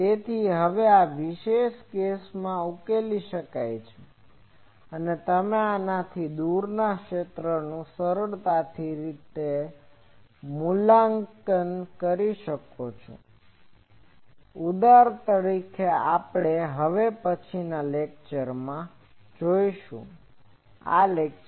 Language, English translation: Gujarati, So, this now can be solved in particular cases and you can evaluate the far fields easily from these that example we will see in the next lecture